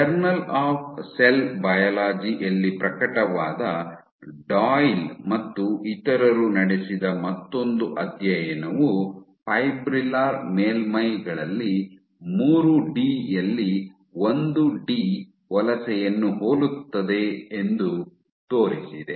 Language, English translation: Kannada, One other study by Doyle et al, published in J Cell Biol demonstrated that 1 D migration is similar to that in 3 D on fibrillar surfaces